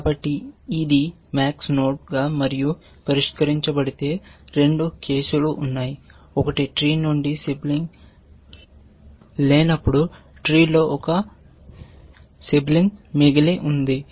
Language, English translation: Telugu, So, if it is a max and solved, there are two cases, one is that, it has a sibling left in the tree all the other cases when it does not have a sibling left from the tree